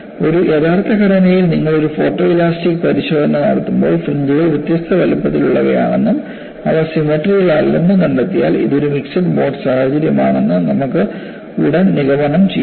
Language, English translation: Malayalam, So, in an actual structure, when you do a photo elastic testing, if you find the fringes are of different sizes and they are not symmetrical, you can immediately conclude that, this is a mixed mode situation